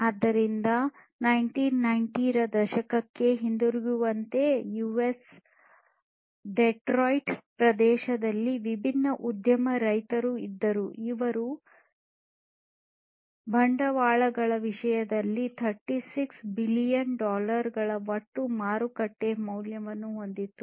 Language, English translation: Kannada, So, like going back to the 1990s, there were different industry giants in the Detroit area, in US, which had a combined market value of 36 billion dollars in terms of capitals